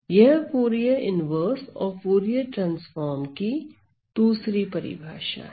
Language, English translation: Hindi, So, that is another definition of the Fourier inverse and the Fourier transforms